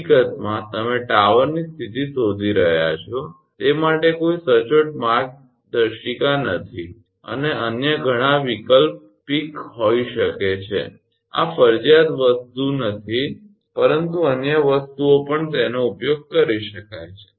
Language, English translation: Gujarati, In fact, there are no clean cut guidelines for look you are locating the tower position and several other alternative may be use this is not a mandatory thing, but other things also it can be used